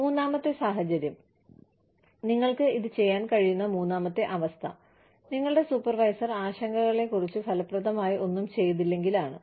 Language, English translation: Malayalam, The third situation, in which, or, the third condition, in which, you can do this is, when your immediate supervisor, has done nothing effective, about the concerns